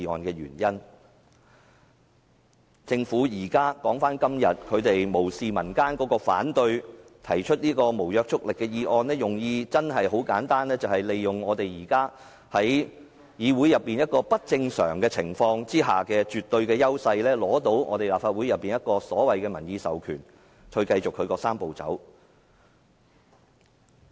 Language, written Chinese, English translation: Cantonese, 說回政府今天無視民間的反對提出的這項無約束力議案，其用意真的很簡單，便是利用他們因現時議會內出現不正常的情況而取得的絕對優勢，從而得到立法會的"民意授權"，繼續推展"三步走"。, The intention of the Government proposing this non - binding motion against public opposition is simple . It seeks to take absolute advantage of the abnormal situation in the Legislative Council now to obtain a public mandate and continue to take forward the Three - step Process